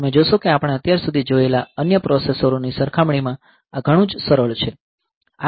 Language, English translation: Gujarati, You see that this much much simplified compared to say other processors that we have seen so far